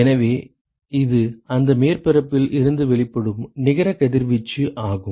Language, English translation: Tamil, So, that is the radiation that is net radiation emitted from that surface